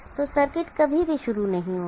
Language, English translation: Hindi, So the circuit will never start